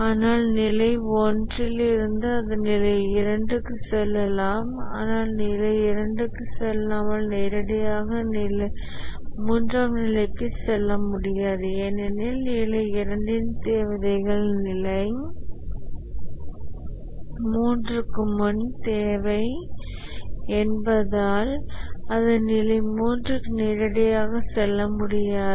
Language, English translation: Tamil, But then from level 1 it can go to the level 2 and not directly to level 3 without going to level 2 because the requirements of level 2 are a pre requirement for level 3